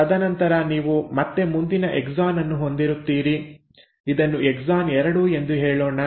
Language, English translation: Kannada, And then you will again have the next exon coming in, let us say this is exon 2